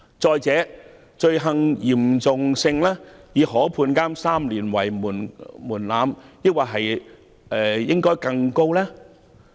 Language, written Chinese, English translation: Cantonese, 此外，罪行嚴重性以可判監3年為門檻，應否把門檻訂得更高？, In addition the threshold is set at offences punishable with imprisonment for more than three years but should a higher threshold be set?